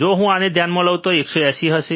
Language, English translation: Gujarati, If I consider this one this will be 180